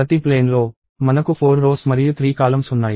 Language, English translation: Telugu, In each plane, I have four rows and three columns